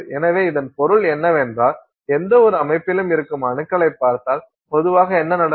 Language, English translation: Tamil, So, this means usually what happens is if you look at atoms that are there in any system